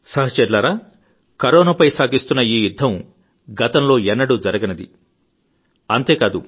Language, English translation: Telugu, Friends, this battle against corona is unprecedented as well as challenging